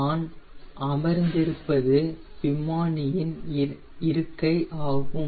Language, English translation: Tamil, this is the pilot seat where i am sitting